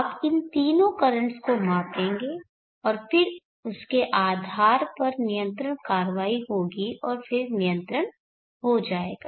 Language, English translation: Hindi, You will measure all these three currents and then based on that the control action will happen and then the control will take place